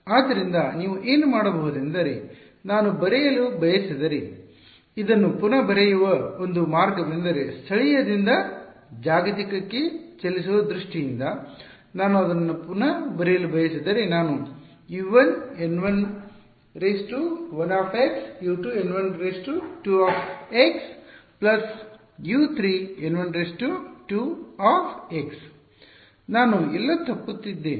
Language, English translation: Kannada, So, what you could do is just a way of rewriting this if I wanted to write it is in terms of moving from local to global, if I wanted to rewrite it I could write like this U 1 N 1 1 x plus U 2 N 2 1 x plus N 2 1 2 x right plus U 3 N 2 1 x